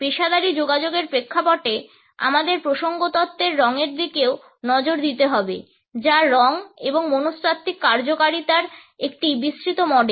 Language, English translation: Bengali, In the context of professional communication, we also have to look at the color in context theory which is a broad model of color and psychological functioning